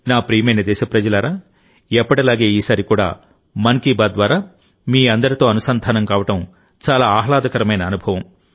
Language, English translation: Telugu, My dear countrymen, as always, this time also it was a very pleasant experience to connect with all of you through 'Mann Ki Baat'